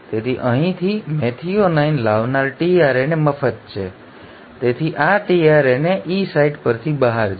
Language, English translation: Gujarati, So from here the tRNA which had brought in the methionine is free, so this tRNA will go out from the E site